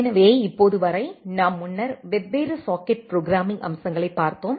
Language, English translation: Tamil, So, till now we have earlier looked into different socket programming aspects